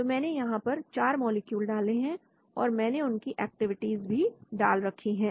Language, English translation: Hindi, So I have loaded 4 molecules, I have loaded their activities also